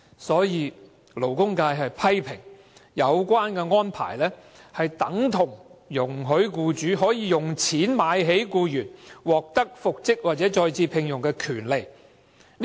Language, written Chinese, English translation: Cantonese, 所以，勞工界批評這安排等同容許僱主用錢"買起"僱員獲得復職或再次聘用的權利。, The labour sector criticizes that this arrangement is tantamount to allowing the employer to buy up the employees right to be reinstated or re - engaged